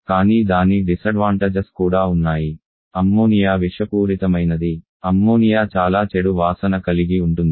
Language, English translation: Telugu, But the disadvantage also like ammonia is toxic, ammonia has very bad order